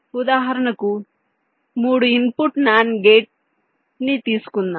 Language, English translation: Telugu, lets say, for example, a three input nand gate